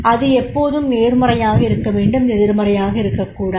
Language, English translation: Tamil, It should not be negative, it should be positive